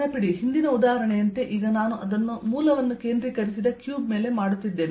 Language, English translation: Kannada, remember now i am doing it over a cube which is centred at the origin, like the previous example